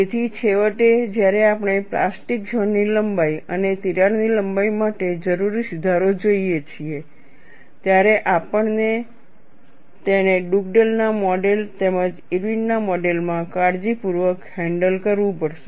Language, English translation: Gujarati, So, finally, when we look at the plastic zone length and there correction necessary for crack length, we have to handle it carefully in Dugdale’s model as well as Irwin’s model, there is a subtle difference between the two